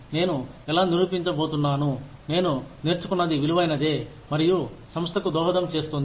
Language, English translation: Telugu, How I am going to prove that, whatever I have learnt, has been worthwhile, and will contribute to the organization